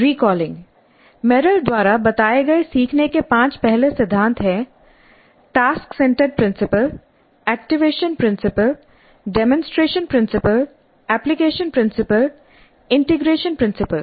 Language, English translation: Hindi, Recalling the five first principles of learning as stated by Merrill are task centered principle, activation principle, demonstration principle, application principle, integration principle, integration principle